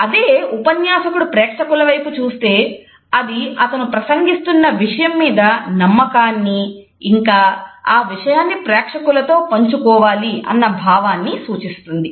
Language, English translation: Telugu, If a speaker looks at the audience it suggest confidence with the content as well as an openness to share the content with the audience